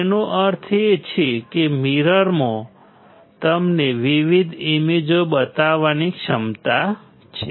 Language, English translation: Gujarati, That means, the mirror has a capacity to show you different images